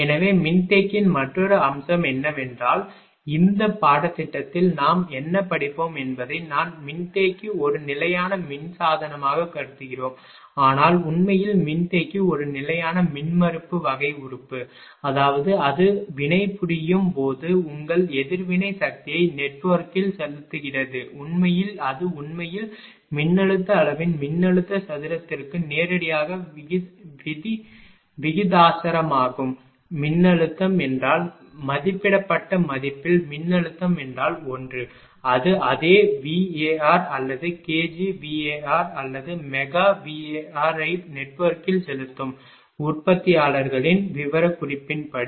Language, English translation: Tamil, So, and another another aspects of the capacitor is whatever we will study in this course that capacitor we are treating as a constant power device, but in reality capacitor is a constant impedance type of element; that means, that when it reacts ah your injects reactive power into the network actually it is magnitude actually directly proportional to the voltage square of the voltage magnitude; that means, if vol[tage] I mean at a rated value if voltage is 1; it will inject the same same ah bar or kilo bar or mega bar into the network; that as as per the manufacturers specification, but if voltage goes below ah 1, then as a suppose it is 0